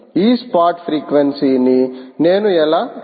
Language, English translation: Telugu, and how do i find out this spot frequency